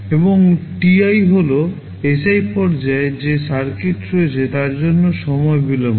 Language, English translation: Bengali, And ti is the time delay for the circuit that is there in stage Si